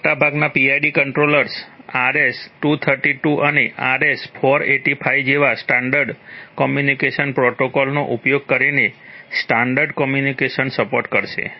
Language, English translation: Gujarati, There is, most PID controllers will support communication, communication, standard communication, using standard communication protocols like RS232 and RS485